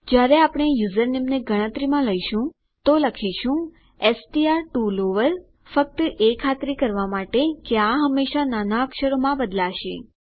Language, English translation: Gujarati, When we are taking the username into account what we are going to say string to lower here, just to make sure that this will always convert to lowercase